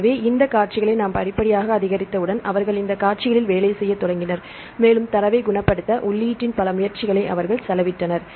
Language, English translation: Tamil, So, once we gradually increase of these sequences they started working on these sequences and they spent several efforts of input, to curate the data